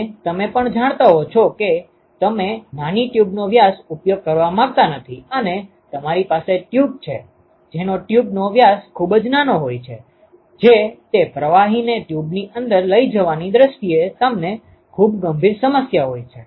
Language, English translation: Gujarati, And you also do not want to use a small tube diameter you know shall and tube you have tube which are which have a very small diameter you will have a very serious issue in terms of transporting those fluid inside the tube